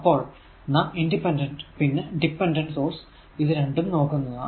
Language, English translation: Malayalam, So, there are 2 types of sources independent and dependent sources